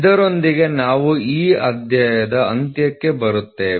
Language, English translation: Kannada, So, with this we come to an end to this chapter